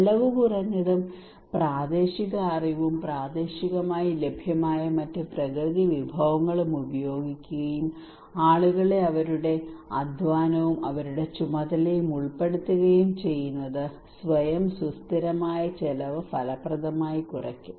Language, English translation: Malayalam, And cost effective, using local knowledge and other natural resources locally available resources and involving people their labour their roles and responsibilities would effectively reduce the cost that would be self sustainable